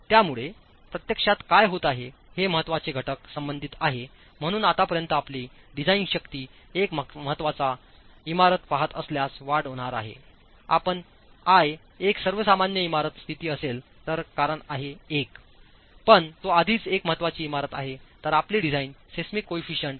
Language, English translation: Marathi, So what's actually happening as far as the important factors concern is your design force is going to increase if you're looking at an important building because if you are in an ordinary building condition, I is 1